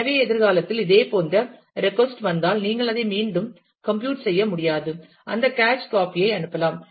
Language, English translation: Tamil, So, that if a similar request come in future, you can you may not re compute it, you can just send that cache copy